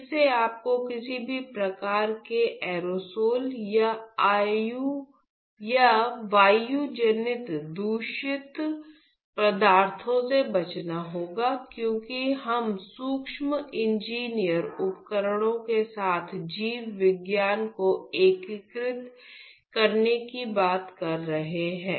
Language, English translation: Hindi, Again, you have to protect yourself from inhaling any sort of aerosols or airborne contaminants, because we are talking about integrating biology with micro engineered devices